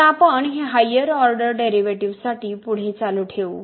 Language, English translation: Marathi, Now we will continue this for higher order derivatives